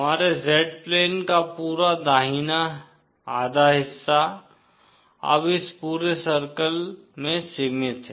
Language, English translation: Hindi, The entire right half of our Z plain is now confined within this entire circle